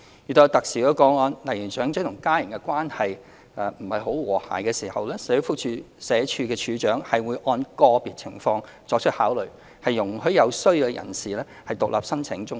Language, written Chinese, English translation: Cantonese, 遇有特殊個案，例如長者與家人的關係不太和諧時，社署署長會按個別情況作出考慮，容許有需要的人士獨立申請綜援。, Under special circumstances for example when elderly applicants have a poor relationship with their family members the Director of Social Welfare will consider such circumstances on a case - by - case basis and may allow an elderly person in need to apply for CSSA on hisher own